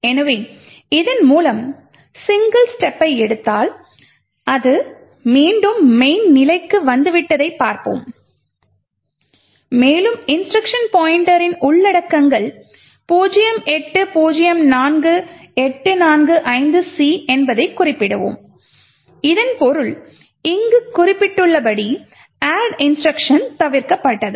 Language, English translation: Tamil, So, let us single step through this and see that it has come back to main and we would note that the contents of the instruction pointer is 0804845C which essentially means that the add instruction which is specified here has been skipped